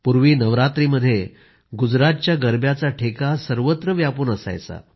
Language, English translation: Marathi, Earlier during Navratra, the notes of Garba of Gujarat would reverberate all over…